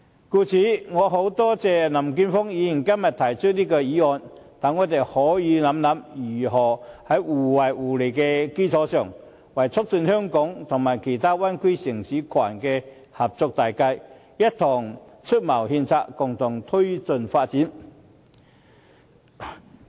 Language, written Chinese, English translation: Cantonese, 我十分感謝林健鋒議員今天提出這項議案，讓我們可以思考，如何在互惠互利的基礎上，為促進香港和其他灣區城市群的合作大計，一同出謀獻策，共同推進發展。, I am grateful to Mr Jeffrey LAM for proposing this motion . This motion can allow us to consider how we can put our heads together to promote the progress of Hong Kongs cooperation with other Bay Area cities on the basis of mutual benefits . My amendment today seeks to accentuate the advantage of Hong Kong